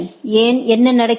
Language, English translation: Tamil, Why, what is happening